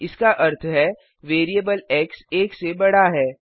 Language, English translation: Hindi, That means the variable x is increased by one